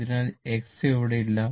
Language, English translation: Malayalam, So, X is not there